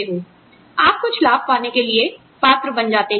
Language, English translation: Hindi, You become eligible, for getting some benefits